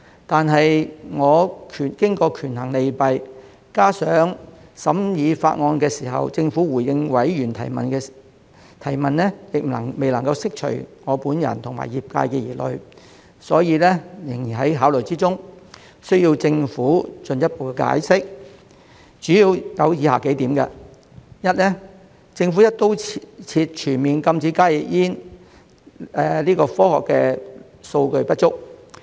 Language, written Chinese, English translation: Cantonese, 但我經過權衡利弊，加上在審議法案時，政府回應委員提問時仍未能釋除我本人及業界的疑慮，所以仍然在考慮之中，需要政府進一步解釋，主要有以下幾點：一，政府"一刀切"全面禁止加熱煙的科學數據不足。, But after weighing the pros and cons coupled with the fact that during the scrutiny of the Bill the Government in its response to questions raised by members were unable to address my concerns and those of the industry I am therefore still considering it and further explanation by the Government is required mainly for the several points as follows First there is insufficient scientific data to justify the Governments blanket ban on HTPs in a broad - brush manner